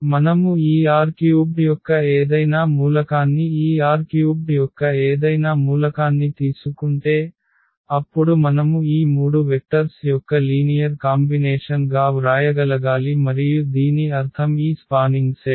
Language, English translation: Telugu, That if we take any element of this R 3 any element of this R 3, then we must be able to write down as a linear combination of these three vectors and that is what we mean this spanning set